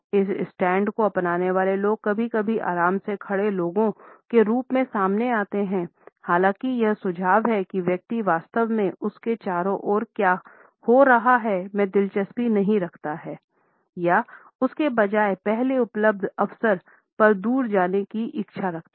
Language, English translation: Hindi, People adopting this stand sometimes come across as comfortably standing people; however, it suggest that the person is not exactly interested in what is happening around him or her rather has a desire to move away on the first available opportunity